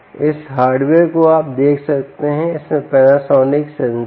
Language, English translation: Hindi, this hardware, you can see, has this panasonic sensor here